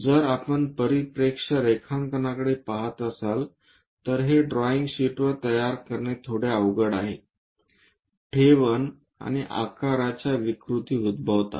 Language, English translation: Marathi, If we are looking at perspective drawing these are bit difficult to create it on the drawing sheets, size and shape distortions happens